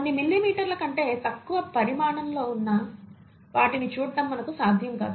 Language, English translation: Telugu, ItÕs not possible for us to see things which are below a few millimetres in size